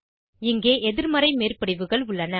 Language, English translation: Tamil, Here is a slide for negative overlaps